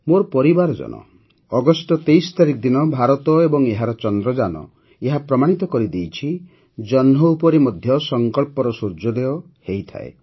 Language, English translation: Odia, My family members, on the 23rd of August, India and India's Chandrayaan have proved that some suns of resolve rise on the moon as well